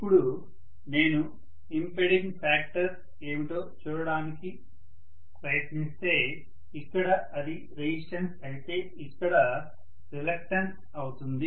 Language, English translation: Telugu, Now if I try to look at what is the impeding factor here that is resistance whereas here it is going to be reluctance, right